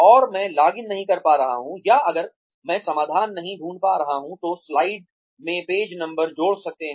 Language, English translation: Hindi, And, I am not able to, login or, if I am not able to find a solution, may be add page numbers to slides